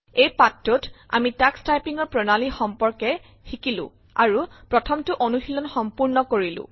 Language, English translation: Assamese, In this tutorial we learnt about the Tux Typing interface and completed our first typing lesson